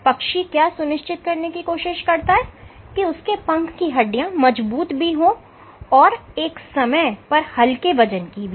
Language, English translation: Hindi, So, what the bird is trying to achieve is that the wing bones must be strong and at the same time light weight ok